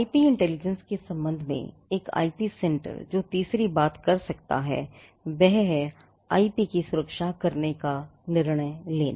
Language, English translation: Hindi, The third thing that an IP centre can do with regard to IP intelligence is to take the call or decide whether to protect the IP